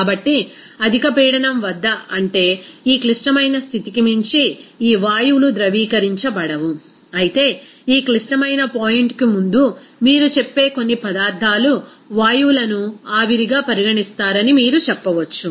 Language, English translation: Telugu, So, at high pressure, that means beyond this critical condition, these gases will not be liquefied, whereas, before this critical point, you can say that some substances you say that gases will be regarded as vapor